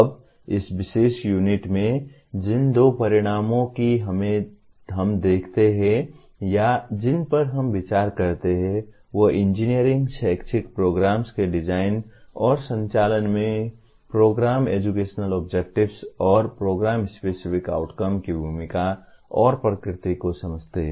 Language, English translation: Hindi, Now, coming to this particular unit, the two outcomes that we look at or we consider are understand the role and nature of Program Educational Objectives and program Specific Outcomes in the design and conduct of engineering programs